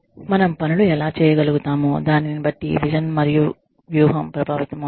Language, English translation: Telugu, The vision and strategy is influenced by, how we are able to do things